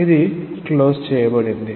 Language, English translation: Telugu, This is closed